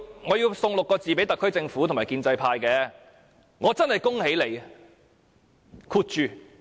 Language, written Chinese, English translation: Cantonese, 我要送6個字給特區政府和建制派：我真係恭喜你。, I have to give a few words to the SAR Government and the pro - establishment camp I extend my congratulations to you